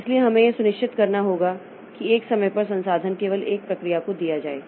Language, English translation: Hindi, So, we must provide that at one point of time, so the resource is given to one process only